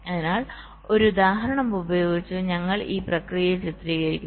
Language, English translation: Malayalam, ok, so we illustrate the process with the help of an example